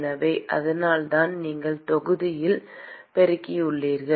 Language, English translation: Tamil, So, that is why you have multiply by volume